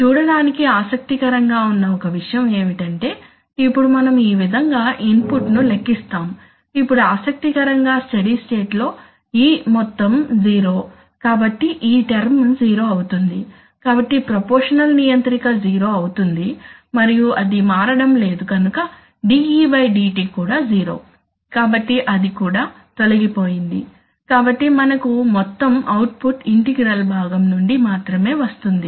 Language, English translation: Telugu, One thing interesting to see is that, this, so we now calculate input like this, now interestingly that you see that in the steady state, in the steady state the total of e is zero, so therefore this term is zero, so the proportional controller is zero and since he is not also changing, so there is a de/dt is also zero, so that is also gone so we only have the whole output coming from the integral part